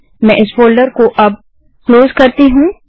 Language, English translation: Hindi, Let me close this folder now